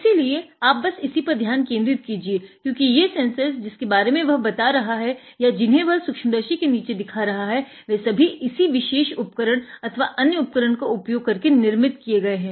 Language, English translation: Hindi, So, you just focus on this because these sensors that he will be talking about or showing you in the microscopes are fabricated using this particular equipment and other equipment